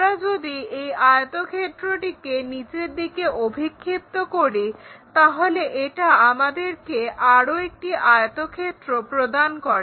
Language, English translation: Bengali, If we are projecting this rectangle all the way down it gives us one more rectangle